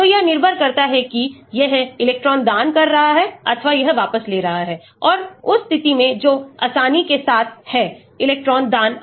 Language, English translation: Hindi, so depending upon whether it is electron donating or it withdrawing and in the position that is the ease with the electron donating or withdrawing can take place, the dissociation constant can change